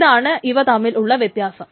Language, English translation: Malayalam, So that is the difference between